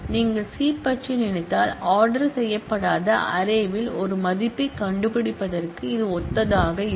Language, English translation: Tamil, But just to give you the idea that this is similar to finding out a value in an unordered array if you are thinking of C